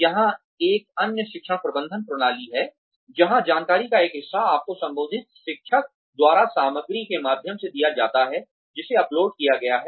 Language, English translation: Hindi, That is another learning management system, where part of the information is given to you, by the teacher concerned, through the material, that is uploaded